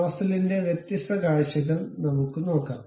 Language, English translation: Malayalam, Let us look at different views of this nozzle